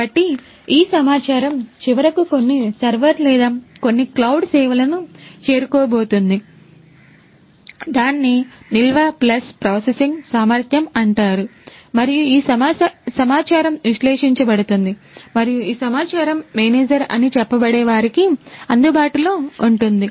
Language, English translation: Telugu, So, these data are finally, going to reach some server or some cloud service let us say which has storage plus processing capability and this data would be analyzed and would be made available to let us say the manager